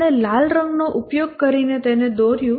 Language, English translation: Gujarati, We drew it using red color